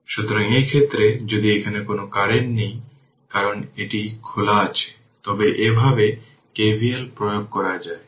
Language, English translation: Bengali, So, in this case your if you here there is no current here, because it is open right, but you apply KVL like this whatever I have done it here